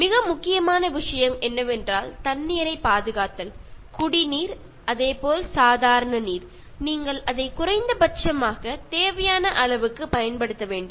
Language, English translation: Tamil, The most important thing is, conserving water: Drinking water, as well as normal water, so you should use it to the minimum required quantity